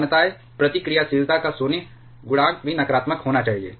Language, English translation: Hindi, Similarities void coefficient of reactivity should also be negative